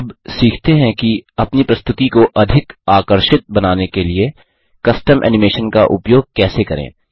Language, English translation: Hindi, Lets learn how to use custom animation to make our presentation more attractive